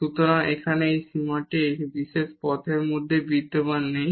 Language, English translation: Bengali, So, here this limit does not exist along this particular path itself